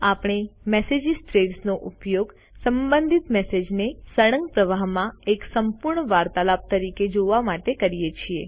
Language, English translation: Gujarati, We use message threads to view related messages as one entire conversation, in a continuous flow